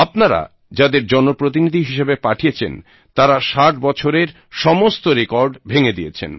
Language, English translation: Bengali, The Parliamentarians that you elected, have broken all the records of the last 60 years